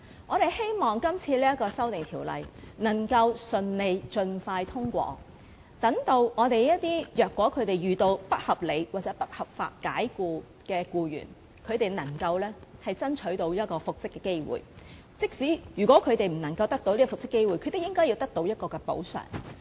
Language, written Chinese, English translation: Cantonese, 我們希望這項《條例草案》能夠盡快順利通過，好讓一些遇到不合理或不合法解僱的僱員能爭取到復職的機會，即使他們不能復職，亦獲得應得的補償。, We hope that the Bill will be passed as soon as possible so that employees who are unreasonably or unlawfully dismissed can have a chance to be reinstated and even if they are not reinstated they will still get the compensation they are entitled to